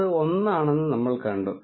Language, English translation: Malayalam, We have seen that that is 1